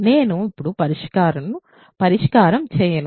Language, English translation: Telugu, So, I will not do the solution now